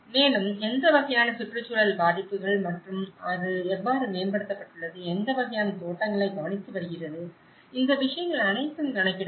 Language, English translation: Tamil, Also, what kind of environmental impacts and how it has been improved, what kind of plantations has been taken care of, so all these things will be accounted